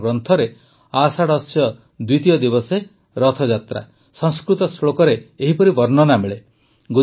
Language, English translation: Odia, In our texts 'Ashadhasya Dwitiya divase… Rath Yatra', this is how the description is found in Sanskrit shlokas